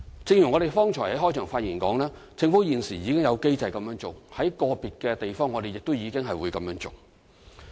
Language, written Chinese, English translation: Cantonese, 正如我剛才在開場發言所說，政府現時已有機制這樣做，在個別地方我們亦已這樣做。, As I said in the beginning the Government already has a mechanism to do this and we have done so in some leases